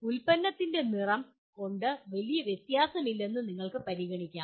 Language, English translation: Malayalam, You may consider color of the product does not make much difference